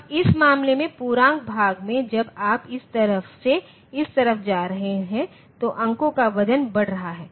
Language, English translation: Hindi, Now, in this case in the integer part as you are going from this side to this side the weight of the numbers are in weight of the digits are increasing